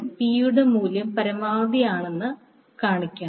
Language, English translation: Malayalam, Show that the value of P is maximum